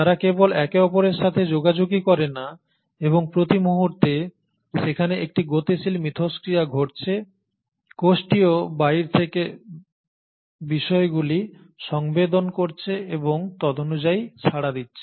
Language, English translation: Bengali, Not only are they in crosstalk with each other and there is a dynamic interaction happening at all given points of time, the cell is also sensing things from outside and accordingly responding